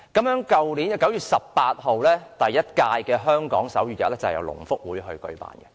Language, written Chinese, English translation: Cantonese, 去年9月18日的第一屆香港手語日是由香港聾人福利促進會舉辦的。, The first HK Sign Language Day on 18 September last year was held by The Hong Kong Society for the Deaf